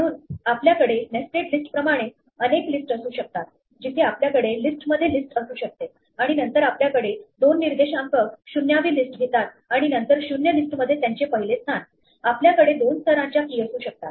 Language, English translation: Marathi, So, we can have multiple just like we have nested list where we can have a list containing list and then we have two indices take the 0th list and then their first position in the 0 list, we can have two levels of keys